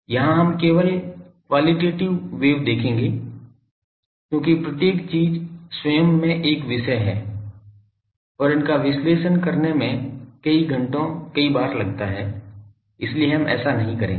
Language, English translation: Hindi, Here we will do just qualitative wave will a because, this things each is a topic on it is own and it takes several times to analyse these several hours so, we would not do that